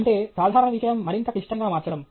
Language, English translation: Telugu, That is to make a simple thing more complicated